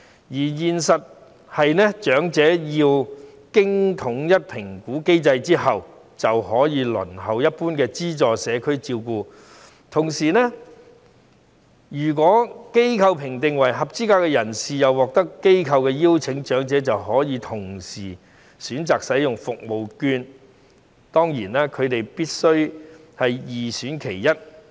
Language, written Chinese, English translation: Cantonese, 現實的情況是，長者要經過統一評估機制後，便可以輪候一般資助社區照顧服務；同時，如果被機構評定為合資格的人士並獲得機構邀請，長者就可以同時選擇使用社區券。, In reality the elderly persons have to go through a standardized assessment mechanism before they can wait for the general subsidized community care services . At the same time if the elderly persons are assessed to be eligible and invited by the institution they can also choose to use CCS vouchers